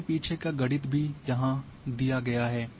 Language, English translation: Hindi, The mathematics behind is also given here